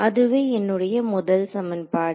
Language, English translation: Tamil, That is my first equation ok